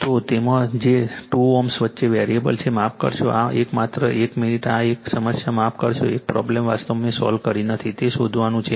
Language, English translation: Gujarati, So, in that your what you call, and which is variable between 2 ohm sorry this one, just one minute this one actually your this problem sorry this problem actually I have not solved you have to find it out this is you have to find it out right